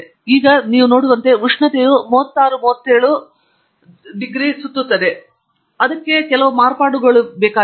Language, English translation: Kannada, Now, as you can see, the temperature hovers around a 36 37 and so on and there is some variability to it